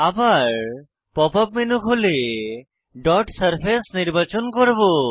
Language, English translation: Bengali, So, open the Pop up menu again, and choose Dot Surface